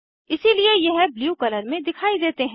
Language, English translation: Hindi, So they appear in blue color